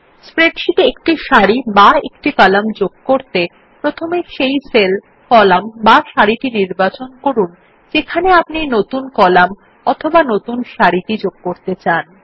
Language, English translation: Bengali, In order to insert a single row or a single column in the spreadsheet, first select the cell, column or row where you want the new column or a new row to be inserted